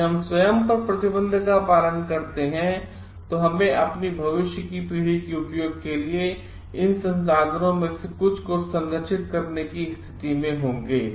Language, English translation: Hindi, If we follow the self restriction on our self, then we will be in a position to preserve some of these resources for the use of our future generation also